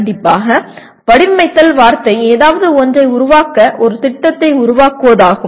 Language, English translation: Tamil, Design strictly the word means creating a plan to make something